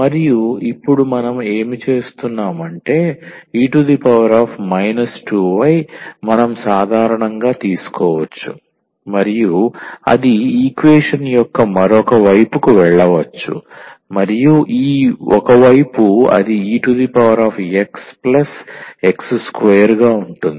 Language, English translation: Telugu, And what we do now, e power minus 2y we can take as a common and that can go to the other side of the equation and this one side it will remain as e power x plus x square